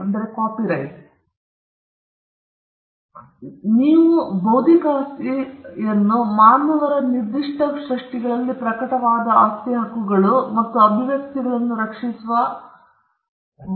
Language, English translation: Kannada, So, there is a distinction between intellectual property or the rights of property that manifest in certain creations made by human beings and the right that protects these manifestations